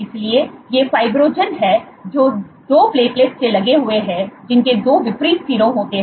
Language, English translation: Hindi, So, these are fibrinogen which is engaged by 2 platelet us that 2 opposite ends